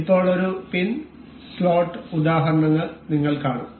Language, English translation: Malayalam, Now, we will see pin and slot kind of example